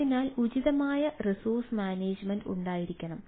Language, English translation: Malayalam, so this appropriate resource management plays an important role